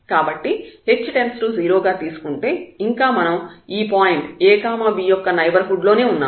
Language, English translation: Telugu, So, whatever h and k we take in the neighborhood of this a b point